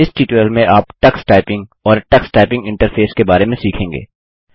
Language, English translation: Hindi, In this tutorial you will learn about Tux Typing and Tux typing interface